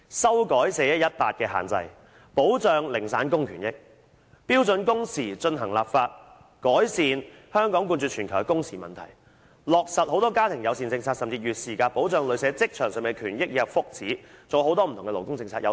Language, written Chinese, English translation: Cantonese, 修改 "4-1-18" 的限制，保障零散工的權益；標準工時進行立法，改善香港冠絕全球的工時問題；落實更多家庭友善政策甚至設定"月事假"，保障女性在職場上的權益及福祉；還有很多不同的勞工政策，有待我們一一實現。, We should amend the 4 - 1 - 18 rule to protect the rights and interests of casual workers legislate for standard working hours to ameliorate the problem of working hours in Hong Kong―a notoriety which makes us second to none in the world implement more family - friendly policies and even provide menstrual leave to protect the rights and well - being of women at work and there are also a diversity of labour policies that we have to work for their implementation one by one